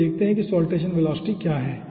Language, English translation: Hindi, okay, so let us see what is saltation velocity